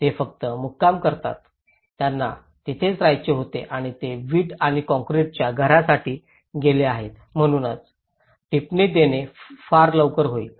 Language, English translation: Marathi, They just stayed, they wanted to stay there and they have gone for the brick and concrete houses so this is too early to comment